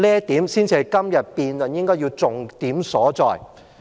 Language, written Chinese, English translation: Cantonese, 這才是今天辯論的重點所在。, This should be the focus of our debate today